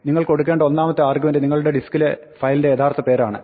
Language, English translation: Malayalam, The first argument that you give open is the actual file name on your disk